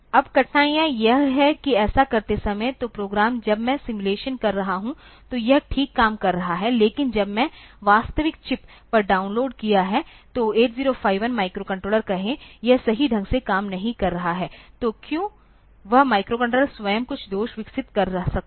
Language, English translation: Hindi, Now, the difficulty is that, while doing that, so the program, when I am simulating, so, it is working fine, but when I have downloaded onto the actual chip actual, it say 8051 microcontroller, it may not be working correctly, why that microcontroller itself might has some fault developed